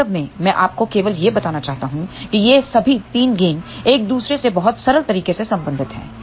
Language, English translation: Hindi, In fact, I just want to tell you actually all these 3 gains are related to each other in a very simple manner